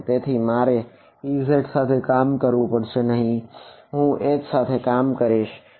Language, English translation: Gujarati, So, I need not work with Ez I can work with H